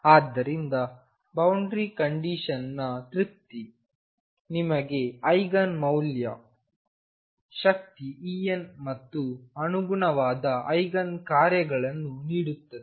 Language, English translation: Kannada, So, the satisfaction of boundary condition gives you the Eigen values energy E n and the corresponding Eigen functions